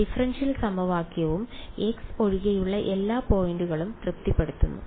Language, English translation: Malayalam, Satisfies the differential equation and all points other than x